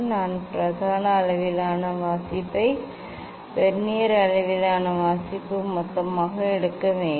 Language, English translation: Tamil, I have to take main scale reading Vernier scale reading total